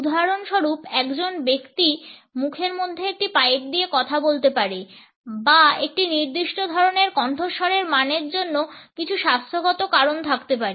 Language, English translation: Bengali, For example, an individual might be speaking with a pipe in mouth or there may be certain health reasons for a particular type of voice quality